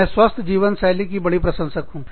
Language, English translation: Hindi, I am a big fan of healthy living